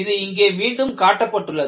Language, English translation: Tamil, And this is again shown schematically